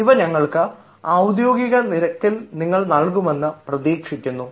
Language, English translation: Malayalam, we expect you would supply us these at the official rate